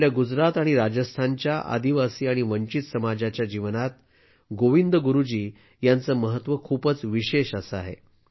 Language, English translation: Marathi, Govind Guru Ji has had a very special significance in the lives of the tribal and deprived communities of Gujarat and Rajasthan